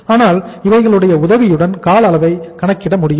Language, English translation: Tamil, So with the help of this we will be able to calculate the duration